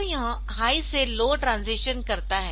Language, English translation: Hindi, So, it makes a transition from high to low